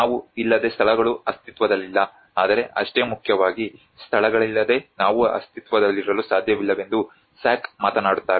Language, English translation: Kannada, That is where Sack talks about places cannot exist without us, but equally important we cannot exist without places